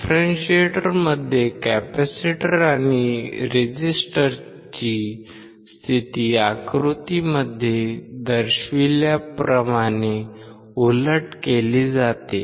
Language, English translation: Marathi, In the differentiator the position of the capacitor and resistors are reversed as shown in figure